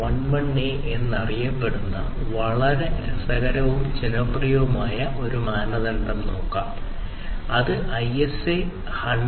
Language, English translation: Malayalam, Now, let us look at another very interesting and popular standard which is known as the ISA 100